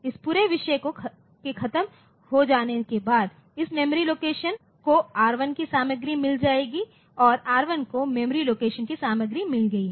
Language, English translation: Hindi, After this whole thing is over this memory location has got the content of R1 and R1 has got the content of memory location